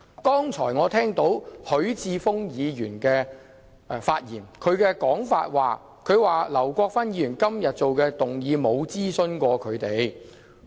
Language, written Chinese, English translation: Cantonese, 剛才我聽到許智峯議員發言，指劉國勳議員今天提出的議案沒有諮詢他們眾多區議員。, Just now I heard Mr HUI Chi - fungs speech in which he said that the motion moved by Mr LAU Kwok - fan today had not gone through many of the consultation among DC members previously